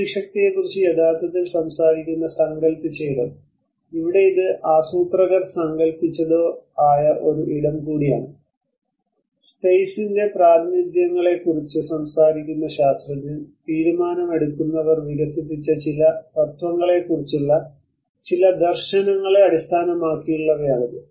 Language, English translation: Malayalam, Conceived space which actually talks about the intellect and here it is also a space that has been conceptualized or conceived by planners, scientist which talks about the representations of the space, and these are based on certain visions on certain principles developed by decision makers